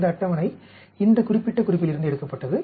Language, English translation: Tamil, This table was taken from this particular reference